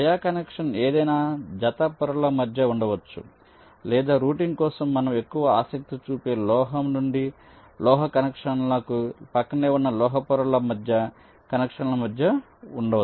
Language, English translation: Telugu, via connection can exist between any pair of layers or for routing, we are more interested in metal to metal connections via connections between adjacent metal layers